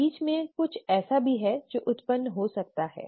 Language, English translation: Hindi, There is something in between also that could arise